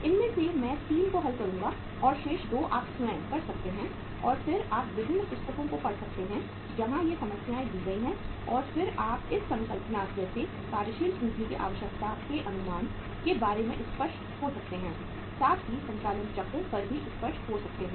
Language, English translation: Hindi, Out of this I will solve 3 and remaining 2 you can do yourself and then you can refer to different books where these problems available are given and then you can be clear about the concept of uh say estimation of the working capital requirement by following the concept of operating cycle